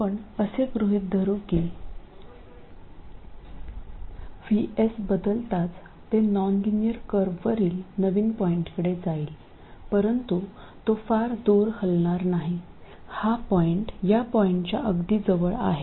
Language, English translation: Marathi, We will assume that as VS changes it will move to a new point on the nonlinear curve but it will not move too far away